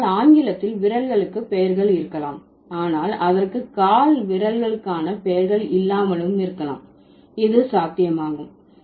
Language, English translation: Tamil, So, English might have, might have names for the fingers, but it may not have the names for the toes